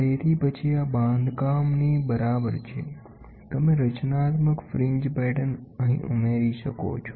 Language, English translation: Gujarati, So, then this is equal to a construct to you can have an added or constructive fringe patterns